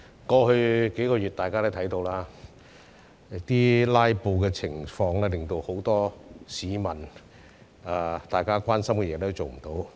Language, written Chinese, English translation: Cantonese, 過去數月，大家也看到，"拉布"情況令很多市民十分關心的事項也無法處理。, In the past few months we saw that filibusters had prevented us from handling many issues of grave concern to the many members of the public